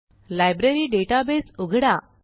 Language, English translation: Marathi, Lets open our Library database